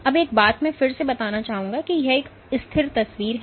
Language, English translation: Hindi, Now one thing I would like to again harp on is that this is a static picture